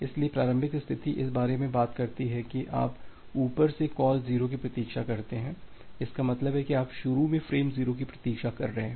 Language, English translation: Hindi, So, the initial state talks about that you wait for call 0 from above; that means, you are waiting for frame 0 initially